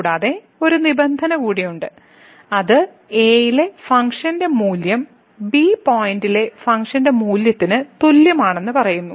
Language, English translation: Malayalam, And, there is a one more condition which says that the function value at is equal to the function value at the point